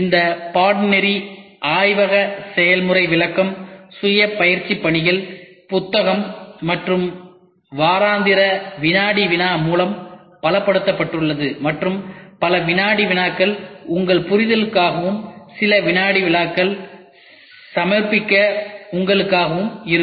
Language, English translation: Tamil, This course is reinforced with lab demonstration self completion tasks, reading material and weekly quiz and many of the quizzes will be for your understanding and some quizzes can be for you for submission